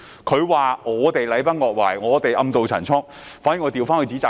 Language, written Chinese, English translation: Cantonese, 他說我們禮崩樂壞、暗渡陳倉，卻倒過來指責他。, They claimed that we trampled morality and pursued a hidden agenda but put the blame on them instead